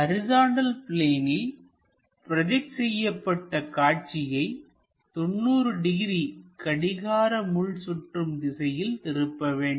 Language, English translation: Tamil, This point we project it on to horizontal plane and horizontal plane is made into 90 degrees clockwise direction